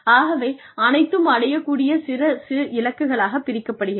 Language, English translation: Tamil, So, everything is broken down, into achievable pieces